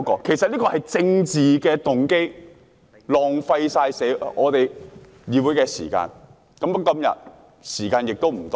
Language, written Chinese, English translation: Cantonese, 其實這是出於政治動機，浪費我們議會的時間。, In fact such a move is politically motivated and aims at wasting the time of this Council